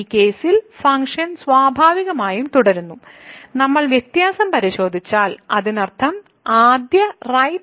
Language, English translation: Malayalam, So, the function is naturally continues in this case and if we check the differentiability; that means, the right derivative first